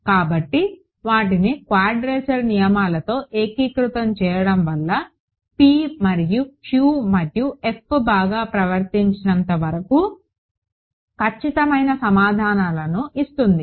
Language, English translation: Telugu, So, integrating them will in fact, give with quadrature rules will give exact answers as long as p and q and f are well behaved also ok